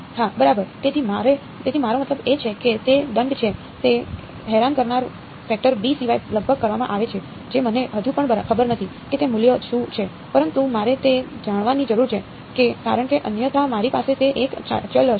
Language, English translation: Gujarati, Yeah exactly, so I mean it is a fine it is almost done except for the annoying factor b which I still do not know how what that value is, but I need to know it because otherwise I will have that one variable everywhere